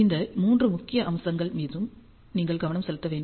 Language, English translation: Tamil, These are the three main aspects you have to focus on